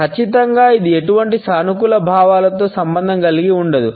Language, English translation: Telugu, Definitely it is not associated with any positive feelings